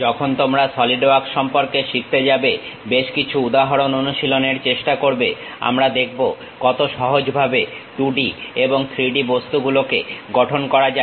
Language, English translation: Bengali, When we are going to learn about Solidworks try to practice couple of examples, we will see how easy it is to really construct 2D objects and 3D objects